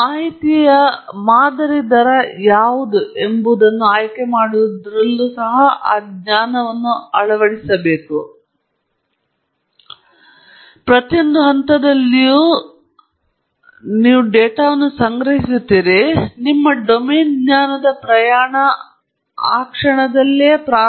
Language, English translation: Kannada, That knowledge should be factored in at every step even in choosing what should be the sampling rate for your data that is how often you should collect the data; that’s where your journey of domain knowledge begins